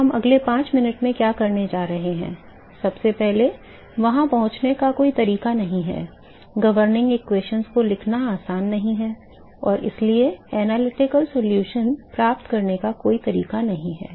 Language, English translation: Hindi, So, what we are going to do next 5 minutes so, is, there is no way to get first of all there it not easy to write the governing equations and therefore, there is no way to get analytical solution